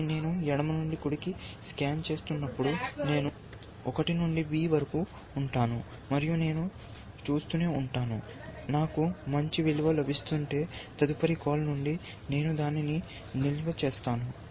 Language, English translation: Telugu, And then as I scan from left to right, going, I go going from 1 to b, I will keep seeing, if I am getting a better value, from the next call and so on